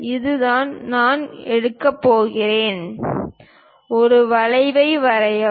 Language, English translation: Tamil, This is the one what I am going to pick; draw an arc